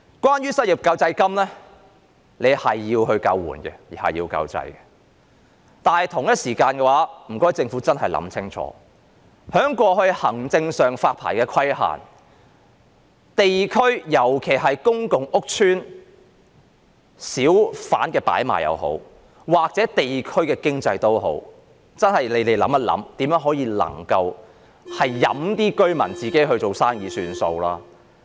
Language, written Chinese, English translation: Cantonese, 關於失業救濟金，這是用來救援、救濟的，但政府同時間真的要想清楚，過去在發牌上的行政規限，無論是在公共屋邨或地區的小販擺賣，甚至是地區經濟，當局真的要想想能否任由居民自行做生意。, Regarding unemployment assistance it is for support and relief . Yet the Government should also think over the administrative restrictions imposed on licensing in the past be it on hawking activities in public housing estates or districts or even on district economy . The authorities should seriously reconsider whether residents should be allowed to run such businesses freely